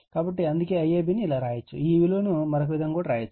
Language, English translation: Telugu, So, that is why IAB you can write like this, similarly for the other otherwise also we can do this